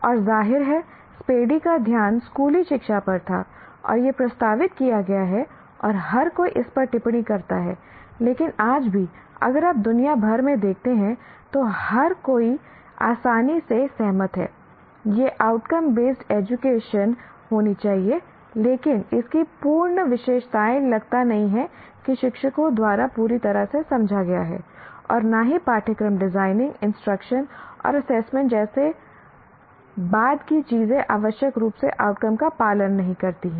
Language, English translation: Hindi, And of course, Paddy's focus was school education and this has been being proposed and everybody comments on this but even today even if you look around the world while everybody readily agrees it should be outcome based education but the full features of outcome based education and are not do not seem to have been fully understood by the teachers, nor the subsequent thing like curriculum design, instruction and assessment do not necessarily follow from the outcomes